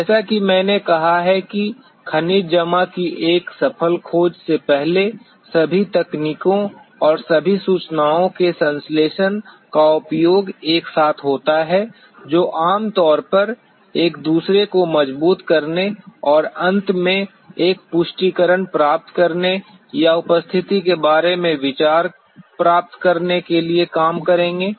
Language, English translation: Hindi, As I have stated before a successful discovery of a mineral deposit is an outcome of utilization of all the techniques and synthesis of all the information together which will generally work in reinforcing each other and to finally get a confirmation or get an idea about the presence or absence of a mineral deposit which is below the surface